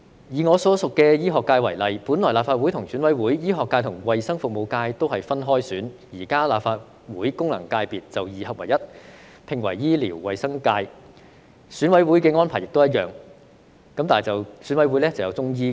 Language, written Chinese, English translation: Cantonese, 以我所屬的醫學界為例，本來立法會和選委會，醫學界和衞生服務界都是分開選，現在立法會功能界別就二合為一，合併為醫療衞生界；選委會的安排亦一樣，但就加入了中醫界。, Take the medical subsector to which I belong as an example . Originally the medical sector and the health services sector of the Legislative Council and EC are separate sectors but now the two sectors are combined to form the medical and health services functional constituency in the Legislative Council . The same arrangement also applies to EC but with the addition of the Chinese medicine subsector